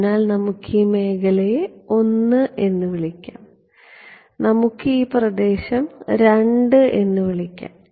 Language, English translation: Malayalam, So, in let us call this region I and let us call this region II